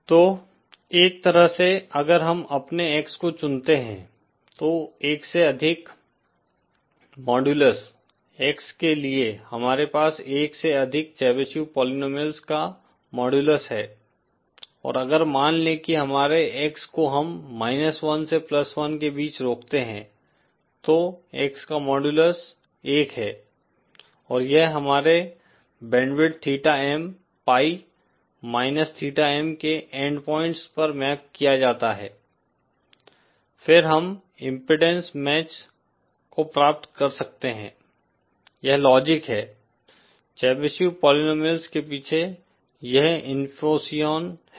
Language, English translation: Hindi, So in a one way if we choose say our X, for modulus X greater than one we have the modulus of the Chebyshev polynomial greater than one and if we restrict suppose say our X between minus one to plus one so that modulus of X is one and this is mapped to the end points of our band width theta M, pi minus theta M, then we can achieve the impedence match, this is the logic, this is the infusion behind the Chebyshev polynomial